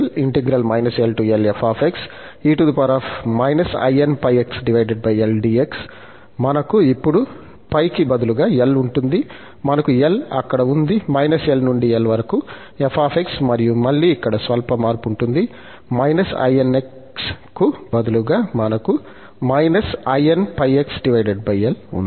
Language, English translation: Telugu, And, the cn will have now instead of pi, we have L there, minus L to plus L, f x and again, there will be slight change here, instead of inx, we have in pi x over L dx